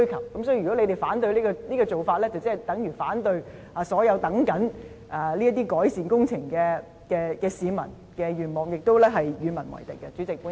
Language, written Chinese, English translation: Cantonese, 有鑒於此，如果他們反對這種做法，便等於反對所有正在等候這些改善工程的市民的願望，亦是與民為敵。, For this reason if those Members oppose such an approach it is tantamount to opposing the wish of all members of the public who are waiting for these improvement projects and becoming enemies of the people